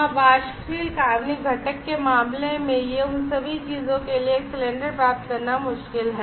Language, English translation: Hindi, Yeah, that is one of in case of volatile organic component it is difficult to get the cylinders for all those things